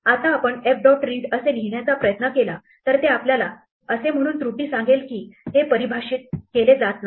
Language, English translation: Marathi, Now, if you try to do f dot read then we will get an error saying that this is not being defined